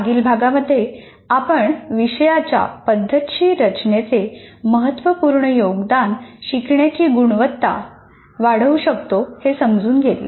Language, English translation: Marathi, In the previous unit, we understood the significant contribution a systematic design of a course can make to the quality of learning